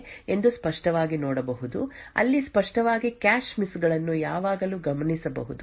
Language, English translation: Kannada, So we can actually clearly see that there are some cache sets where clearly cache misses are always observed